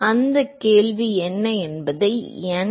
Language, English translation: Tamil, So, the now the question is what is n